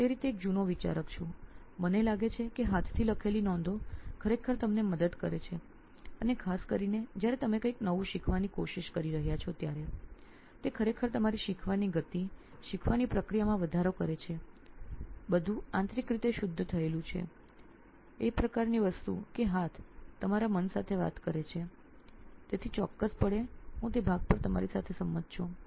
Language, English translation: Gujarati, I am an old school thinker that way that I think notes hand written notes actually help you and for particularly when you are trying to learn something new it really enhances your learning speed, learning process, everything is refined internally, it is a hand talks to the mind kind of thing, so definitely I agree with you on that part